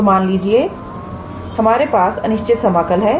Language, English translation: Hindi, So, let us say you have the improper integral of this time